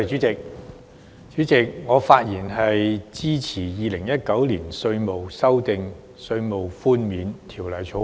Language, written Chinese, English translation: Cantonese, 主席，我發言支持三讀《2019年稅務條例草案》。, President I speak in support of the Third Reading of the Inland Revenue Amendment Bill 2019 the Bill